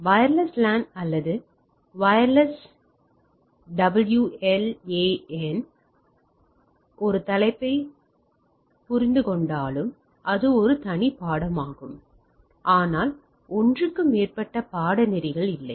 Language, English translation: Tamil, Though as many of you understand that wireless LAN or WLAN is a topic itself it is a separate course if not more than one course itself